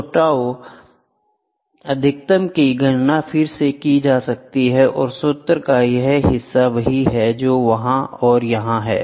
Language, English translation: Hindi, So, tau max can be calculated again this part of the formula is the same which is there and here